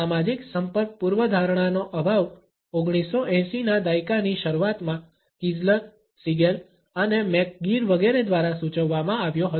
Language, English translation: Gujarati, The lack of social contact hypothesis was suggested in early 1980s by Kiesler, Siegel and McGuire etcetera